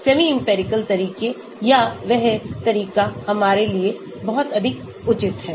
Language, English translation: Hindi, semi empirical methods or that way much more relevant for us